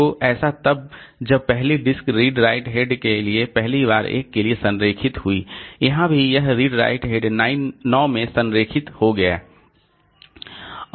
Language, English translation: Hindi, So, so when the first, when for the first disk, redried head got aligned to one for this here also this redrite head got aligned to nine